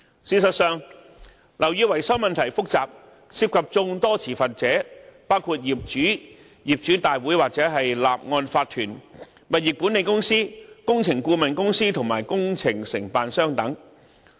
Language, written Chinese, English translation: Cantonese, 事實上，樓宇維修問題複雜，涉及眾多持份者，包括業主、業主大會或法團、物業管理公司、工程顧問公司和工程承辦商等。, As a matter of fact building maintenance is a complex matter involving many stakeholders including owners owners committees or OCs property management companies engineering consultants and contractors etc